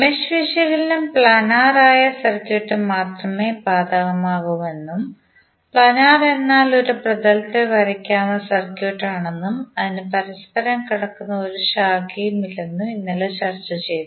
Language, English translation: Malayalam, Yesterday we also discussed that the mesh analysis is only applicable to circuit that is planar, planar means the circuit which can be drawn on a plane and it does not have any branch which are crossing one another